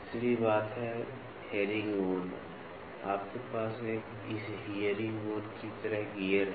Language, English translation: Hindi, Third thing is this, the herringbone you have gears like this herringbone